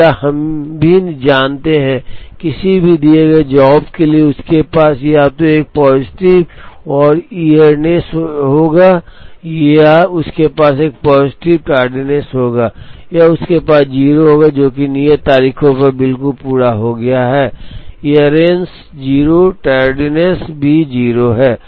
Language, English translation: Hindi, Now, we also know that, for any given job j, it will have either a positive earliness or it will have a positive tardiness or it will have 0, which is completed exactly at the due date, earliness is 0 tardiness is also 0